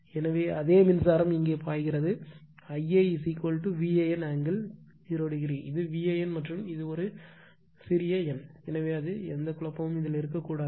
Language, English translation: Tamil, So, I a the same current is flowing here I a is equal to V a n angle 0 , this is your V a n and this is a new small n same thing right same , I will meaning is same